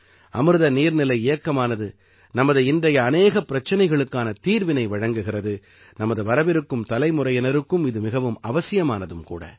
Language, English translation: Tamil, The Amrit Sarovar Abhiyan not only solves many of our problems today; it is equally necessary for our coming generations